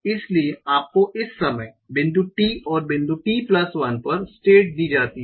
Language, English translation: Hindi, So, you are given state at time point T and time point T plus 1